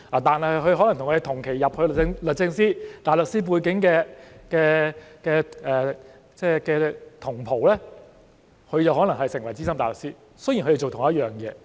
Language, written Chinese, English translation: Cantonese, 但是，與我們同期加入律政司但有大律師背景的同袍就可能成為資深大律師——雖然他們做相同的工作。, However our fellow batchmates who joined DoJ around the same time but from a barrister background can become SC even though the job is the same